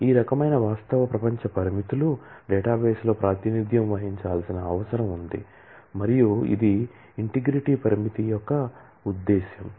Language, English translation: Telugu, All these kinds of real world constraints need to be represented and maintained in the database and that is the purpose of the integrity constraint